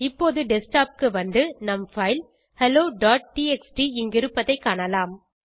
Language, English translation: Tamil, Now come to the Desktop and you can see the file hello.txt here